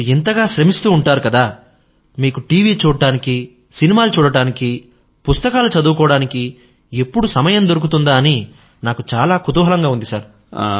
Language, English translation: Telugu, If you are so busy during the day, then I'm curious to know whether you get time to watchTV, movies or read books